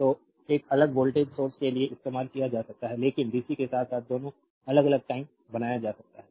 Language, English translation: Hindi, So, be used for a time varying voltage source, but dc as well as time varying both can be made